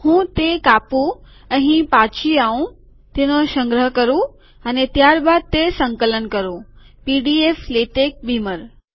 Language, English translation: Gujarati, Let me cut it, let me come back here, Let me save it, and then compile it – pdflatex beamer